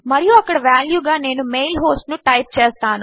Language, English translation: Telugu, And I type the mail host in there as the value